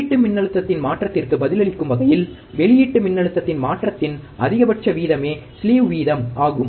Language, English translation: Tamil, Slew rate is the maximum rate of change in the output voltage in response to the change in input voltage